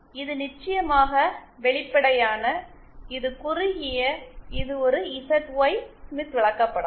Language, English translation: Tamil, This is of course open, this is short, this is a ZY Smith chart